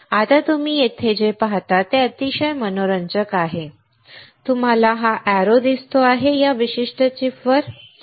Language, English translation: Marathi, Now what you see here is very interesting, you see this arrow; this one goes right to this particular chip